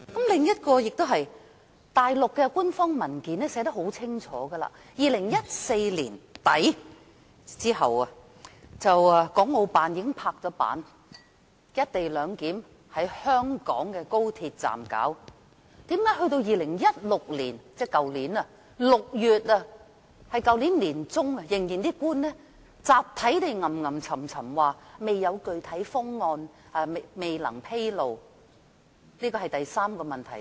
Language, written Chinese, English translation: Cantonese, 另一點是，內地的官方文件寫得很清楚，國務院港澳事務辦公室在2014年年底之後已經"拍板"在香港的高鐵站實施"一地兩檢"。為何到了去年年中，官員仍集體嘮嘮叨叨說未有具體方案、未能披露？這是第三個問題。, Another point is that as clearly stated in an official paper issued by the Mainland authorities some time after the end of 2014 the Hong Kong and Macao Affairs Office of the State Council already endorsed implementation of the co - location arrangement at the XRL station in Hong Kong